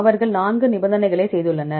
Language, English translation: Tamil, They have made four point conditions